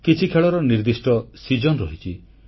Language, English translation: Odia, Some games are seasonal